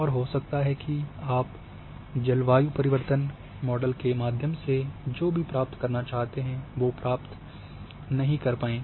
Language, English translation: Hindi, And you may not achieve whatever you want achieve through those climate change models